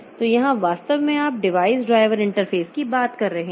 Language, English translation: Hindi, So, here we are actually we are having the device driver interfaces